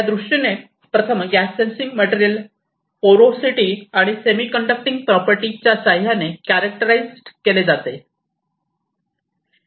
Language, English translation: Marathi, So, as you know that the gas sensing materials are characterized first in terms of it is porosity and semiconducting properties